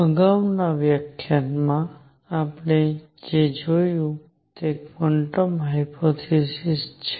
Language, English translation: Gujarati, In the previous lecture, what we have seen is that the quantum hypothesis